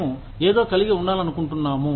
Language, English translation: Telugu, We just want to have, something